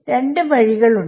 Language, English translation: Malayalam, There are two ways